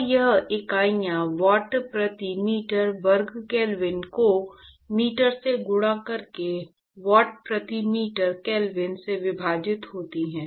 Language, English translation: Hindi, So, this the units here are watt per meter square kelvin multiplied by meter divided by watt per meter kelvin